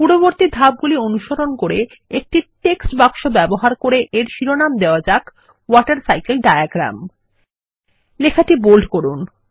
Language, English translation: Bengali, Following the previous steps, lets give the Title WaterCycle Diagram Using a text box and format the text in Bold